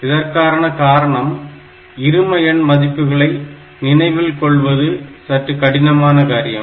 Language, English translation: Tamil, Because of the very simple reason that binary values remembering them or instructing them becomes difficult